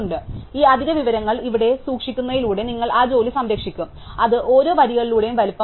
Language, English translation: Malayalam, So, you will save that work by keeping this extra information here, which is the size of each of the rows